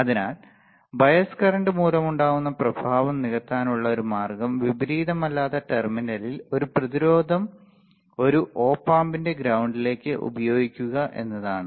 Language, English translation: Malayalam, So, a way to compensate the effect due to bias current is by using a resistance at their non inverting terminal to the ground of an op amp ok